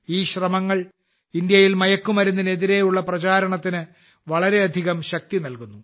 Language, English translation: Malayalam, These efforts lend a lot of strength to the campaign against drugs in India